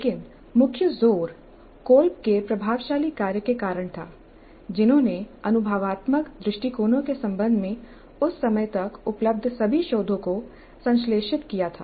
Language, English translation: Hindi, But the major thrust was due to the influential work of Kolb who synthesized all the research available up to that time regarding experiential approaches